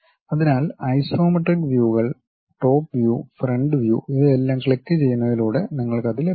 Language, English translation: Malayalam, So, the isometric views, top view, front view these things, you will have it by clicking that